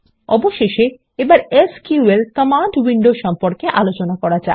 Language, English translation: Bengali, Finally, let us learn about the SQL command window